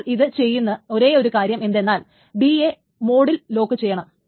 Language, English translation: Malayalam, So the only thing that it does is that it just locks D in the S mode